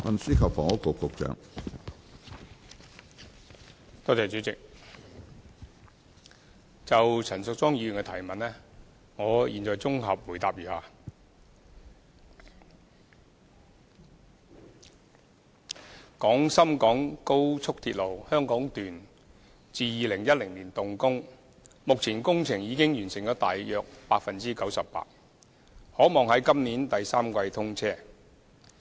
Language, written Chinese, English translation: Cantonese, 主席，就陳淑莊議員的主體質詢，我現在答覆如下：廣深港高速鐵路香港段自2010年動工，目前工程已經完成了大約 98%， 可望在今年第三季通車。, President my consolidated reply to Ms Tanya CHANs main question is as follows Construction works of the Hong Kong Section of the Guangzhou - Shenzhen - Hong Kong Express Rail Link XRL which started in 2010 are now roughly 98 % complete . The project is expected to commission in the third quarter this year